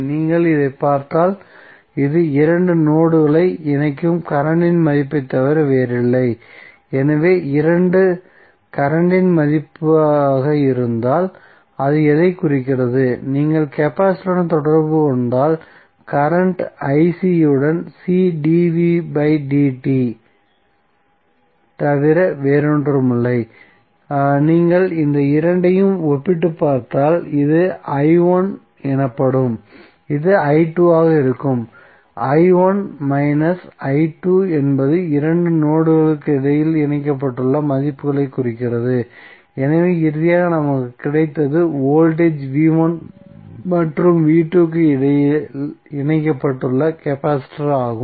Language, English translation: Tamil, If you see this, this is nothing but the value of the current which is connecting two nodes, so if this is the value of current it signifies what, if you correlate with capacitor current ic is nothing but C dv by dt, so if you compare this two this will be something called i1 this will be i2 and i1 minus i2 means the values which are connected between two nodes, so finally what we got is the capacitor which is connected between voltage v1 and v2